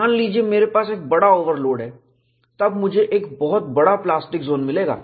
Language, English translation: Hindi, Suppose, I have a larger overload, then, I would have a much larger plastic zone